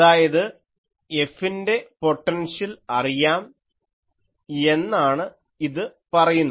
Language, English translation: Malayalam, So, this says that potential for F is known